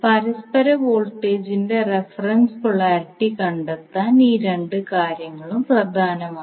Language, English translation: Malayalam, So this two things are important to find out the reference polarity of the mutual voltage